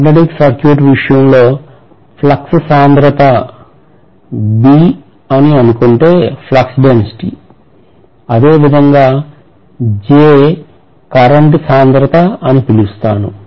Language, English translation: Telugu, And if I say flux density B in the case of magnetic circuit, the same way I can call this as current density